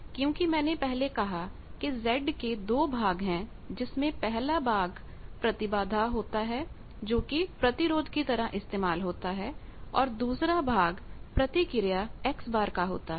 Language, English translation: Hindi, Because as I said that Z bar has two parts impedance as resistance as well as reactance, so reactance means X bar